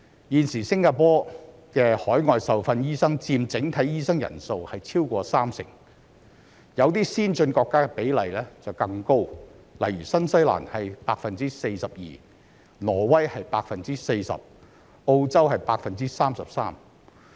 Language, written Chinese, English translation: Cantonese, 現時新加坡的海外受訓醫生佔整體醫生人數超過三成，有些先進國家的比例更高，例如新西蘭是 42%、挪威是 40%、澳洲是 33%。, Nowadays the number of overseas - trained doctors accounts for over 30 % of the total number of doctors in Singapore . The ratio is even higher in some developed countries such as 42 % in New Zealand 40 % in Norway and 33 % in Australia